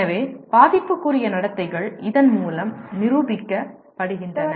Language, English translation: Tamil, So affective behaviors are demonstrated by this